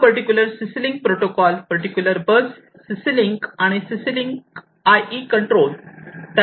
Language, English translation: Marathi, So, this protocol would be CC link protocol over here over this particular bus, CC link and CC link IE control